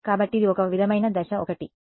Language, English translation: Telugu, So, this is sort of step 1